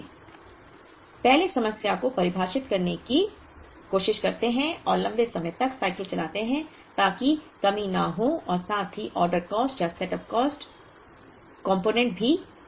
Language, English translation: Hindi, So, let us first define the problem to try and have longer cycles so that the shortages are not there as well as the order cost or setup cost component because its manufacturing